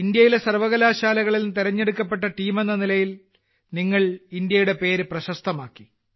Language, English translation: Malayalam, First of all, I congratulate the team selected from the universities of India… you people have brought glory to the name of India